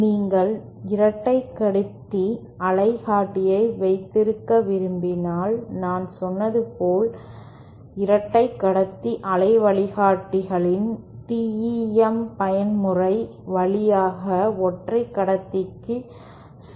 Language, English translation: Tamil, If you want to have a 2 conductor waveguide, as I said, 2 conductor waveguides conduct via TEM mode to a single conductor